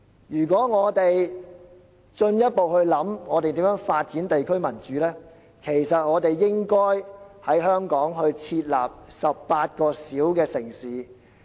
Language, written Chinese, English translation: Cantonese, 如果我們研究如何進一步發展地區民主，我們應在香港設立18個小城市。, If we examine ways to develop district democracy further we should set up 18 small cities in Hong Kong